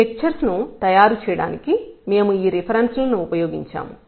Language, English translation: Telugu, And these are the references we have used to prepare these lecture